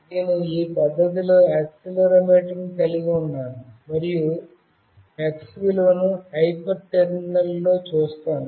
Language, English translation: Telugu, Let us say I have hold the accelerometer in this fashion and will come and see the value of x in the hyper terminal